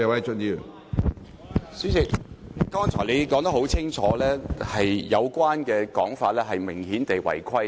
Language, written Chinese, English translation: Cantonese, 主席，剛才你已說得很清楚，郭議員有關的發言內容明顯違規。, President you have stated very clearly that Mr KWOKs remark has obviously breached the rules